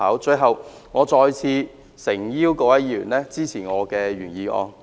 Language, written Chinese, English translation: Cantonese, 最後，我再次誠邀各位議員支持我的原議案。, Finally I sincerely implore once again Members to support my original motion